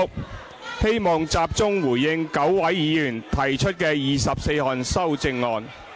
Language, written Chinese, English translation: Cantonese, 我希望集中回應9位議員提出的24項修正案。, I wish to focus on responding to the 24 amendments proposed by 9 Members